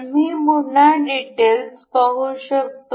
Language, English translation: Marathi, We can see the a details again